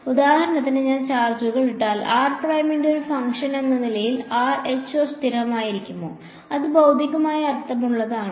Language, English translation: Malayalam, If I put will the charges for example, will the rho be constant as a function of r prime, is that physically meaningful